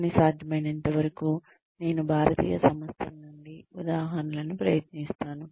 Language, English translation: Telugu, But, as far as possible, I try and bring up examples, from Indian organizations